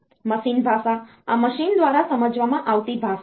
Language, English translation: Gujarati, So, machine language; this is the language understood by the machine